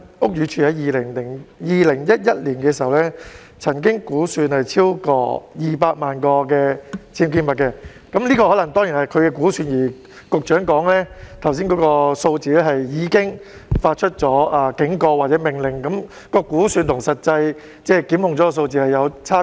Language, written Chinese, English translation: Cantonese, 屋宇署曾在2011年估算本港有超過200萬個僭建物，這當然可能是估算，而局長剛才說的數字是已經發出警告或命令，但我們看到估算與實際檢控的數字是有差別。, In 2011 BD estimated that there were over 2 million UBWs in Hong Kong . This surely might only be an estimated figure while the one cited by the Secretary just now referred to the cases with warning letters or removal orders issued . Anyway we can see a discrepancy between the estimate and the actual prosecution figure